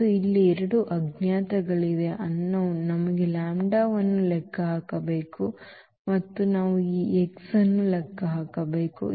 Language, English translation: Kannada, And, there are two unknowns here, the unknowns are the lambda we need to compute lambda and also we need to compute x